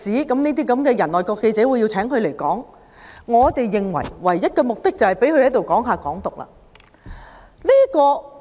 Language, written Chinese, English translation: Cantonese, 我們認為，外國記者會邀請這種人演講的唯一目的，就是讓他談論"港獨"。, In our opinion FCCs sole purpose in inviting such a person to give a speech was to let him talk about Hong Kong independence